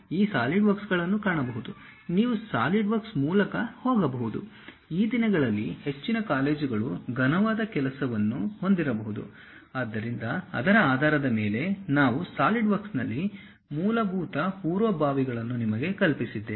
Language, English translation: Kannada, You can find these solidworks, you can go through solidworks, most of the colleges these days might be having solid work, so, based on that we are going to teach you basic preliminaries on solidworks